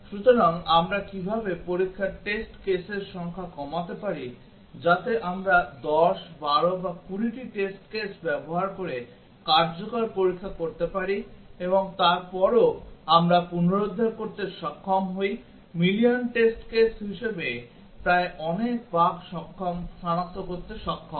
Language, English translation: Bengali, So, how do we reduce the number of test cases so that we can do effective testing using 10, 12 or 20 test cases and still we able to recover, able to detect almost as much bugs as the million test cases